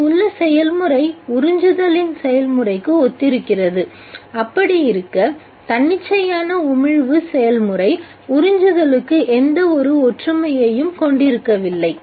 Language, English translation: Tamil, Therefore there is a certain physical similarity the process here is similar to the process of absorption whereas process of absorption whereas the spontaneous emission process does not have any similarity to absorption to absorption